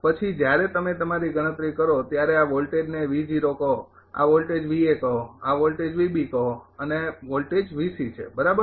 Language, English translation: Gujarati, Then when you calculate the your this this voltage is say V O, this voltage say V A, this voltage say V B, this voltage is V C right